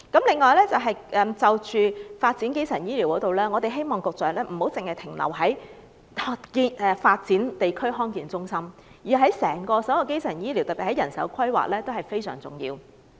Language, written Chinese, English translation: Cantonese, 此外，在發展基層醫療方面，我們希望局長不要只停留在發展康健中心，而是就整個基層醫療作出規劃，特別是人手規劃，那是非常重要的。, Furthermore in respect of primary health care development we hope that the Secretary will go further than only establishing DHC and formulate an overall plan for primary health care especially manpower planning which is of great importance